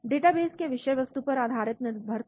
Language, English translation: Hindi, Highly dependent on the content of the database